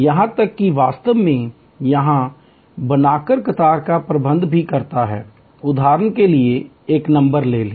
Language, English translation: Hindi, Even also actually manage the queue by creating here, for example take a number